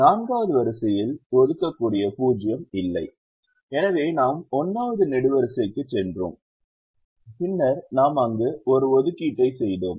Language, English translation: Tamil, the fourth row does not have an assignable zero, so we went to the first column and then we made an assignment there